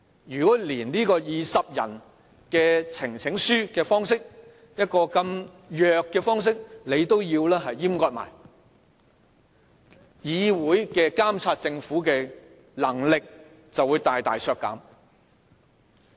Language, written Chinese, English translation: Cantonese, 如果連由20人提出，以呈請書的方式，這麼弱的方式，他們也要閹割，立法會監察政府的能力便會大大削減。, So if they strip us of even this very small power of presenting a petition with 20 supporting Members the power of the Legislative Council to monitor the Government will be further curtailed very drastically . The pro - establishment camp says that it wants to combat filibuster